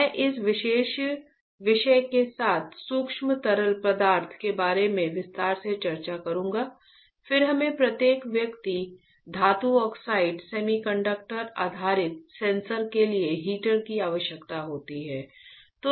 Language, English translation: Hindi, I will discuss with this particular topic in detail micro fluidic, then we require heater for each individuals metal oxide semiconductor based sensors ok